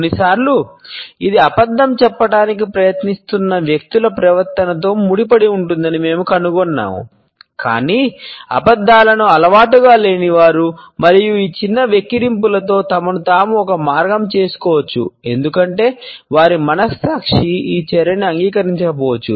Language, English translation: Telugu, Sometimes, we find that it can be associated with the behaviour of those people who are trying to pass on a lie, but are not habitual liars and they may give themselves a way with these small grimaces because their conscience may disapprove of this action